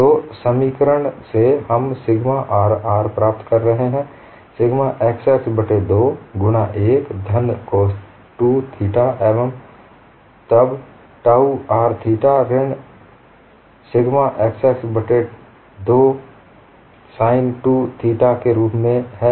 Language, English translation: Hindi, So from the expression, we would be getting sigma RR, as sigma xx divided by 2 into 1 plus cos 2 theta, and then tau r theta as minus sigma xx by 2 sin 2 theta